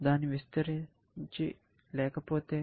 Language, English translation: Telugu, What if it cannot be expanded